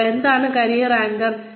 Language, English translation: Malayalam, Now, what are career anchors